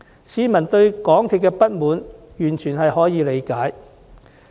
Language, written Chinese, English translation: Cantonese, 市民對港鐵公司感到不滿，完全可以理解。, The public resentment against MTRCL is indeed entirely justified